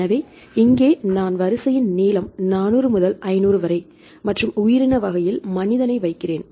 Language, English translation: Tamil, So, here I put the sequence length 400 to 500 and organism human